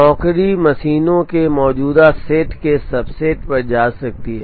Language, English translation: Hindi, A job can visit a subset of the existing set of machines